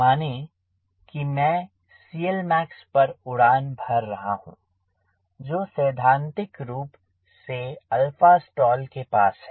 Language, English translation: Hindi, let us say i am flying at c l max, which is theoretically you have close to alpha stall